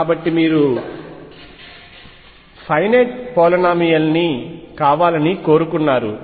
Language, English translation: Telugu, So, you wanted to be a finite polynomial